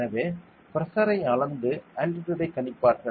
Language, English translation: Tamil, So, they will measure pressure and predict the altitude